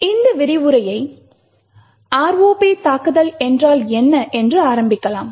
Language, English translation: Tamil, So, let us start this particular lecture with what is the ROP attack